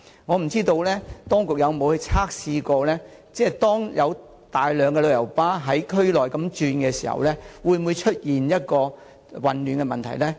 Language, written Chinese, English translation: Cantonese, 當局曾否進行測試，以了解當有大量旅遊巴士在區內行駛時會否出現混亂呢？, Have the authorities conducted any test to see whether any chaos will arise when large numbers of coaches move around in the area?